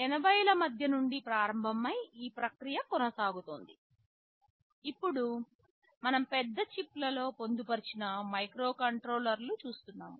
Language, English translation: Telugu, Starting from mid 80’s and the process is continuing, what we see now is that microcontrollers are getting embedded inside larger chips